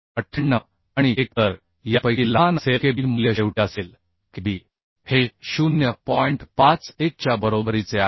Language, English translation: Marathi, 98 and 1 so smaller of these will be Kb value will be finally Kb is equal to 0